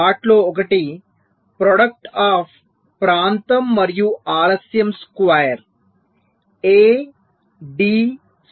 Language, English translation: Telugu, one of them was the product of area and delay, square a, d square